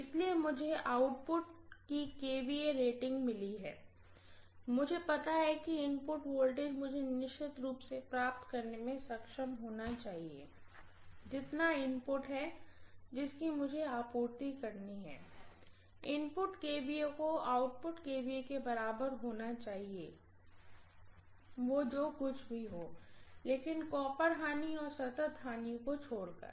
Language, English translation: Hindi, So I have got the output kVA rating, I know the input voltage I should be able to definitely get what is the input kVA that I have to supply, input kVA has to be equal to output kVA by a large, except for whatever are the copper losses and constant losses